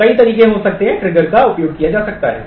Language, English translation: Hindi, So, there could be several ways trigger can be used